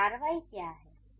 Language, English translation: Hindi, And what is the action